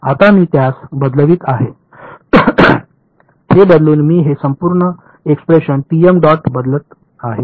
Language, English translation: Marathi, Now what am I replacing it by I am replacing this by T m dot this whole expression